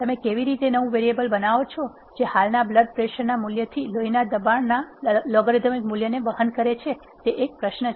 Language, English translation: Gujarati, How do you create a new variable which carries the logarithm value of the blood pressure from the existing blood pressure value is the question